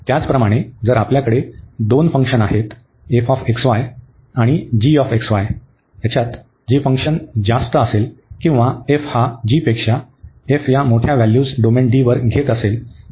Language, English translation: Marathi, Similarly, if we have two functions f x, y, which is greater than the function g x, y or its this f is taking move the larger values then the g on the domain D